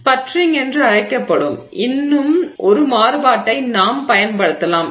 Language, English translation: Tamil, One more variation we can use which is called sputtering